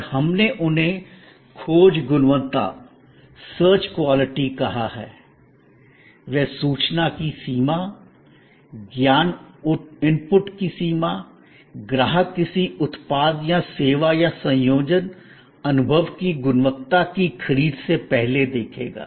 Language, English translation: Hindi, And we have called them search quality; that is what the range of information, the range of knowledge input, the customer will look for before the purchase of a product or service or combination, experience quality